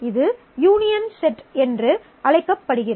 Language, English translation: Tamil, This is called the union set